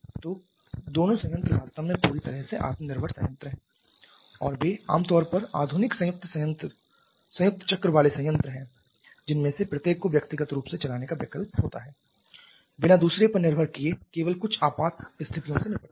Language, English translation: Hindi, So, both the plants are actually fully self sustaining planned and they are generally modern combined cycle plants have the option of running each of them individually without depending on the other also just to tackle certain emergencies